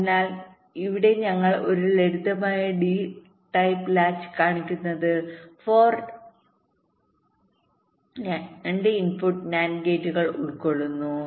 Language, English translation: Malayalam, so here we are showing a simple d type latch consists of four to input nand gates